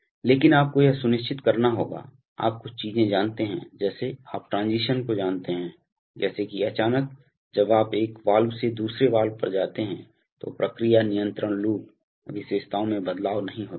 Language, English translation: Hindi, But you have to ensure, you know certain things like, you know transitions such that suddenly when you move from one valve to another valve, the process control loop characteristics do not change